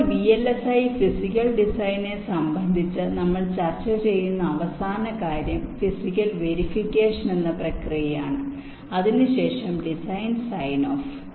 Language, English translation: Malayalam, now, the last thing that that we shall be discussing with respect to vlis, physical design, is the process called physical verification